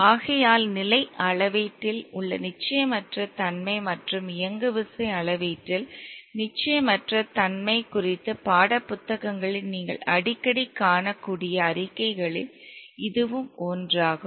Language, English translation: Tamil, Therefore this is one of the statements that you might see in textbooks very often regarding the uncertainty in the position measurement and uncertainty in the momentum measurement